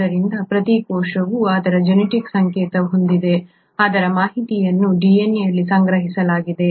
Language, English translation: Kannada, So each cell has its genetic code, its information stored in the DNA